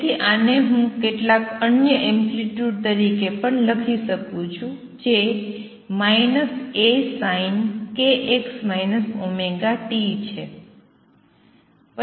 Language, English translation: Gujarati, So, this I can also write as some other amplitude which is minus A sin of k x minus omega t